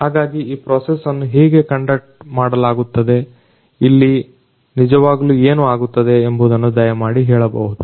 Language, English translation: Kannada, So, could you please tell us that how this process is conducted you know what exactly happens over here